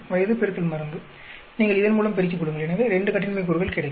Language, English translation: Tamil, Age into drug, you multiply this by this; so get 2 degrees of freedom